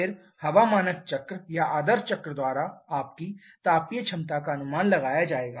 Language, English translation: Hindi, Then what will be your thermal efficiency predicted by the air standard cycle or the ideal cycle